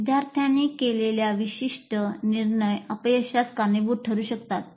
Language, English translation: Marathi, Specific decisions made by the students may lead to failures